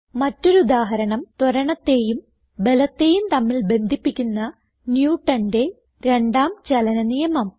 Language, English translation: Malayalam, Here is another example: Newtons second law of motion which describes the relationship between acceleration and force F is equal to m a